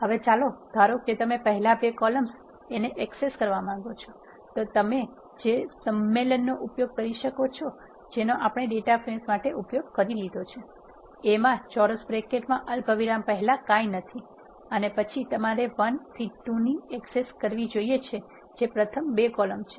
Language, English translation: Gujarati, Now, let us suppose you want to access the first two columns you can use the same convention as what we have used for data frames, A with the square bracket nothing before the comma and then you want access 1 to 2 that is first two columns of a you have to give that array here and then it will access the first two columns of A